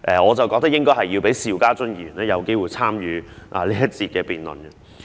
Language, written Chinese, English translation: Cantonese, 我認為應該讓邵家臻議員有機會參與這一節辯論。, In my view Mr SHIU Ka - chun should be given the opportunity to participate in this debate session